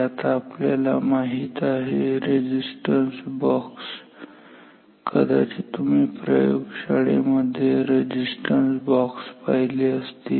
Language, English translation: Marathi, Now, we know the you might have seen that we have resistance boxes you might have seen resistance boxes in lab